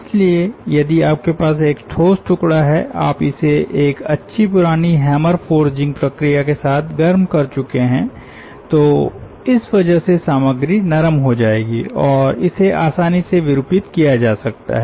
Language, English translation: Hindi, so if you have, say, ah, solid piece and you have heated it with a hammer where you good old forging processes, so then ah, the material will be soft and that may be easily deformable